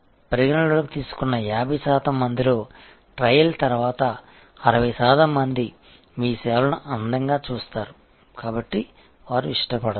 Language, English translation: Telugu, Of the 50 percent who consider, maybe 60 percent after trial find your services pretty good, so they prefer